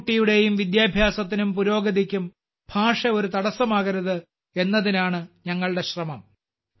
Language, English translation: Malayalam, It is our endeavour that language should not become a hindrance in the education and progress of any child